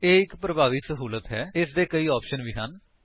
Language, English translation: Punjabi, This is a very versatile utility and has many options as well